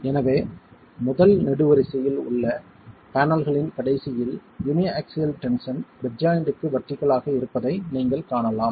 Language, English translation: Tamil, So in the last of the panels in the first column you can see that the uniaxial tension is perpendicular to the bed joint